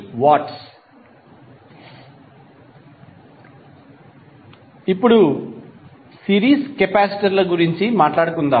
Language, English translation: Telugu, Now, let us talk about the series capacitors